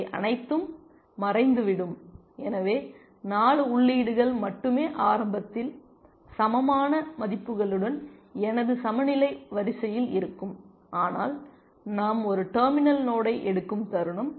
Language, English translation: Tamil, And all this will vanish and so, only 4 entries will remain in my parity queue with the values initially large, but the moment we take a terminal node